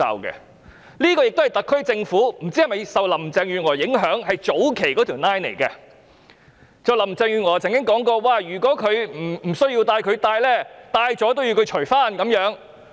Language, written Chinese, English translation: Cantonese, 不知道這是否特區政府受林鄭月娥早期的建議所影響，因為林鄭月娥曾說過，如果同事不需要戴口罩而戴上，即使戴上了也要脫下來。, I am not sure whether the SAR Government has been influenced by Carrie LAMs early suggestion as Carrie LAM did say that colleagues had to take their mask off even if they had put it on unnecessarily